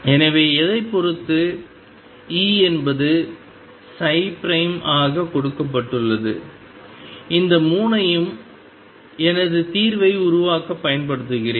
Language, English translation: Tamil, So, depending on what; E is psi prime is given and I use all these 3 to build up my solution